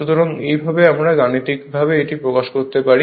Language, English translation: Bengali, So, this this way you can mathematically you can represent like this